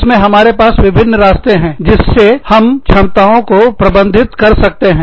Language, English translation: Hindi, In this, we have four different ways, in which, we can manage competencies